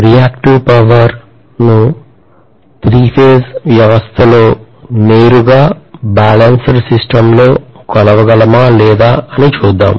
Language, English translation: Telugu, Let us try to see whether we can measure reactive power in a three phased system directly, balanced system